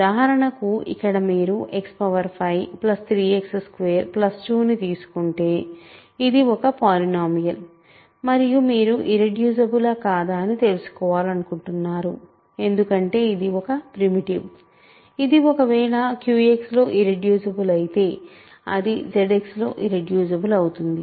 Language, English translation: Telugu, For example, here you take X power 5 plus 3 X squared plus 2 this is a polynomial and you want to know it is irreducible or not because it is primitive if it is irreducible in Q X its irreducible in Z X